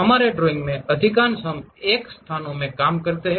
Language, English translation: Hindi, Most of our drawing we work in this X location